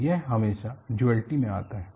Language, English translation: Hindi, So,it isit is always comes in duality